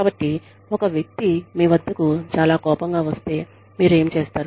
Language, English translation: Telugu, If a person comes to you, who is very, very, angry